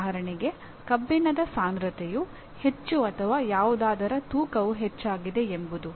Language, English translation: Kannada, For example the density of iron is so much or the weight of something is so much